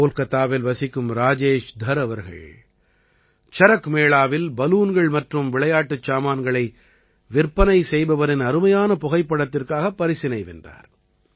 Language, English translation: Tamil, Rajesh Dharji, resident of Kolkata, won the award for his amazing photo of a balloon and toy seller at CharakMela